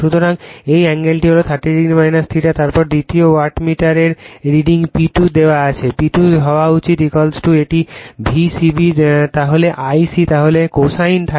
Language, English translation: Bengali, So, this angle is 30 degree minus theta then watt wattmeter reading from that second wattmeter reading is P 2 is given P 2 should is equal to it is V c b then your I c then your cosine , 30 degree minus theta right